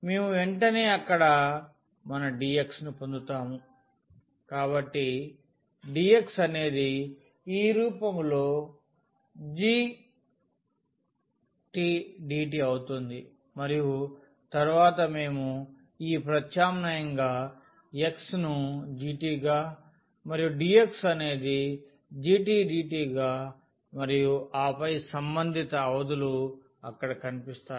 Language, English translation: Telugu, We immediately get that what would be our dx from here, so dx would be g prime t and dt in this form and then we substitute this x as g t and dx will be the g prime t dt and then the corresponding the limits will appear there